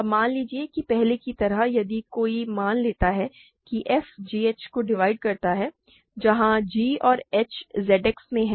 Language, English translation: Hindi, Now, suppose as before in case one suppose f divides g h where g and h are in Z X